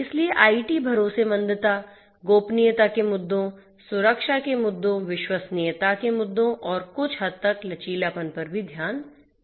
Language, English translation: Hindi, So, IT trustworthiness will take into consideration issues of privacy, issues of security, issues of reliability and to some extent resilience